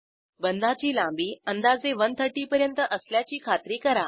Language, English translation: Marathi, Ensure that bond length is around 130